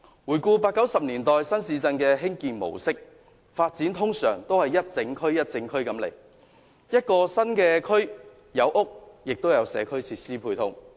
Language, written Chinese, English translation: Cantonese, 回顧八九十年代新市鎮的興建模式，發展通常都是整區規劃的，所以一個新區內既有房屋，亦有社區設施配套。, Looking back at the mode of development of new towns in the 1980s and 1990s the authorities usually formulated development plans for the entire region and this is why housing units and community facilities were provided in a new development area